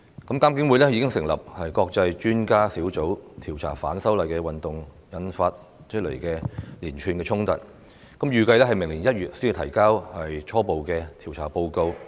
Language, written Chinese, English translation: Cantonese, 監警會已經成立國際專家小組調查由反修例運動引發的連串衝突，預計明年1月才提交初步調查報告。, IPCC has formed an International Expert Panel to examine the series of conflicts that have arisen from the movement of opposition to the proposed legislative amendments and it is expected that a preliminary report will be submitted in January next year